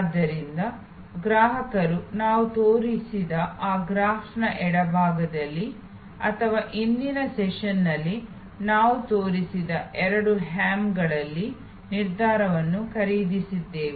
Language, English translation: Kannada, So, customers purchased decision on the left side of that graph that we showed or the two hams that we showed in the previous session